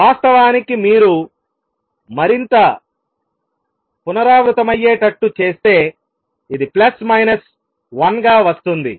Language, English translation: Telugu, In fact, when you do the more recursive this is also comes out to be plus minus 1